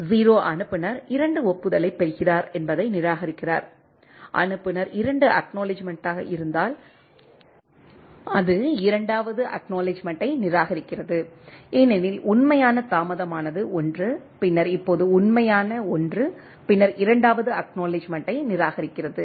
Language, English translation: Tamil, The frame 0 twice transmitted discards the 0 sender receives 2 acknowledgement, it discards the second acknowledgement if the sender is 2 acknowledgement because, the actual delayed 1 then, the now actual 1 and then it discards the second acknowledgment